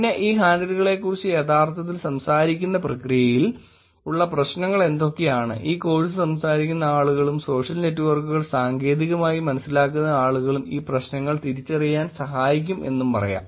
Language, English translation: Malayalam, And then, over the process of actually talking about these handles I am also going to inject some technical topics in terms of what are the problems, how actually people talking this course and people understanding the social networks technically can also help in identifying these problems